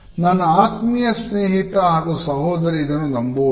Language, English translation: Kannada, My best friend and my sister I cannot believe this